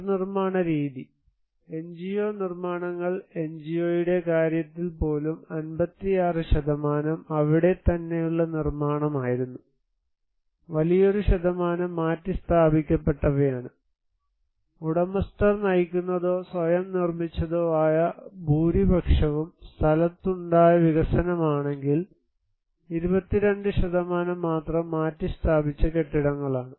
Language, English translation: Malayalam, The mode of reconstructions; NGO constructions you can see that even in case of NGO mostly, it was 56% was in situ but is a great number of also relocated house, in case of owner driven or self constructed majority are in situ development, only 22% is relocated buildings